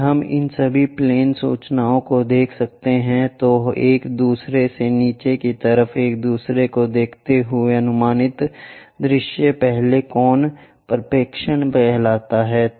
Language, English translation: Hindi, If we can show all these plane information, the projected views showing side by side one below the other that kind of projection is called first angle projection